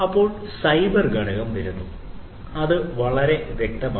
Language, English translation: Malayalam, Then comes the cyber component and this is quite obvious